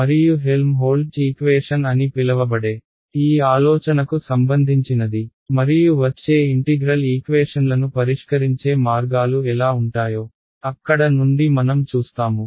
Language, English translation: Telugu, And from there we will see how the idea for this idea leads us to what is called the Helmholtz equation and ways of solving the integral equations that come ok